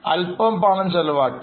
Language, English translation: Malayalam, We have spent some money